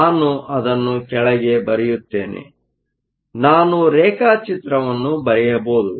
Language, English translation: Kannada, Let me actually write that below, so I can draw the diagram